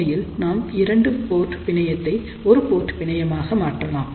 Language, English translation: Tamil, So, we can actually convert a two port network problem into a single port problem